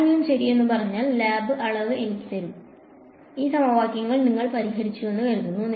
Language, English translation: Malayalam, If I if someone says ok, now give me the lab quantity all you have to do is supposing you solve these equations you got some E and H out of it